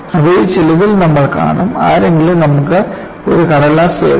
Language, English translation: Malayalam, You would see some of them:See, suppose, somebody gives you a sheet of paper